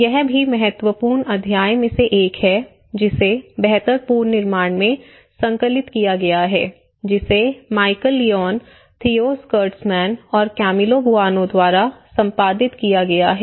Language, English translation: Hindi, This is also one of the important chapter which has been compiled in the build back better which has been edited by Michal Lyons and Theo Schilderman and Camillo Boano